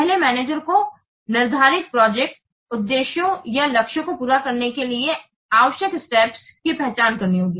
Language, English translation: Hindi, First, the manager has to identify the steps required to accomplish the set project objectives or the targets